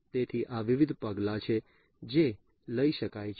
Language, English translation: Gujarati, So, these are the different measures that could be taken